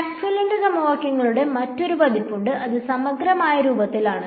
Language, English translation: Malayalam, There is another version of Maxwell’s equations which is in integral form right